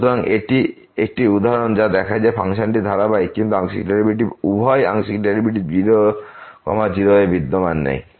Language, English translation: Bengali, So, that is a one example which shows that the function is continuous, but the partial derivative both the partial derivatives do not exist at